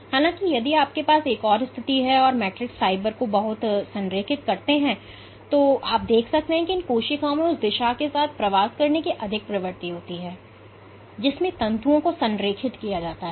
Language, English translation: Hindi, However, if you have an if you envision another situation where the matrix fibers are very aligned, then you could see that these cells have a greater put greater tendency to migrate along the direction in which the fibers are aligned